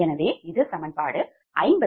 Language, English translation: Tamil, so this is your equation fifty five